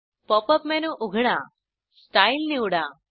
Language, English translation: Marathi, Open the Pop up menu, select Style